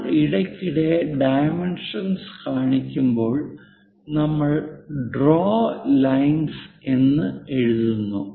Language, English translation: Malayalam, When we are showing dimensions occasionally, we write draw lines